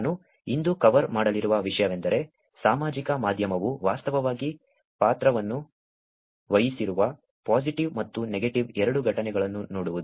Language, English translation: Kannada, What I will cover today is actually looking at some of the incidences, both positive and negative where social media has actually a played role